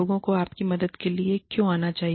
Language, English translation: Hindi, Why should people come to you, for help